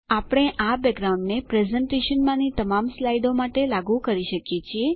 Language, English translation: Gujarati, We shall also apply this background to all the slides in the presentation